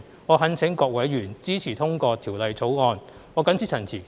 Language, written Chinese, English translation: Cantonese, 我懇請各位委員支持通過《條例草案》。, I implore Members to support the passage of the Bill